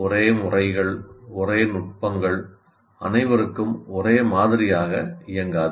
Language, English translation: Tamil, So same methods, same techniques will not work the same way for all